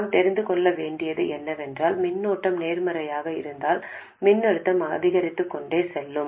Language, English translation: Tamil, All we need to know is that if the current is positive the voltage will go on increasing